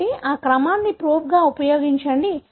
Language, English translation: Telugu, So, use that sequence as a probe